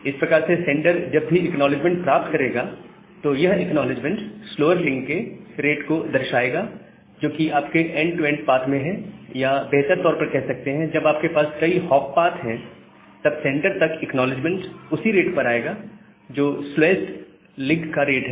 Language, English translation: Hindi, So, that way whenever the sender will get the acknowledgements, that acknowledgement actually indicates the rate of the slower link, which is there in your end to end path or better to say if you have multiple hop path, then the rate of the slowest link in that the rate, the acknowledgement will arrive at the sender